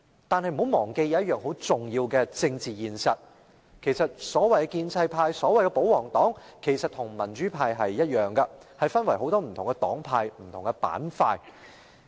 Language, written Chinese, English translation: Cantonese, 但大家不要忘記一個很重要的政治現實：所謂的建制派或保皇黨其實與民主派一樣，分為多個不同黨派和板塊。, However Members must not forget a very important political reality The so - called pro - establishment camp or pro - Government camp just like the pro - democracy camp is divided into various political parties groupings and sectors